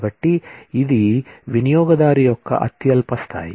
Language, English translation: Telugu, So, this is a lowest level of user